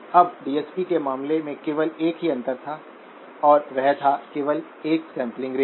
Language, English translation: Hindi, Now the only differences in the case of DSP, there was only a single sampling rate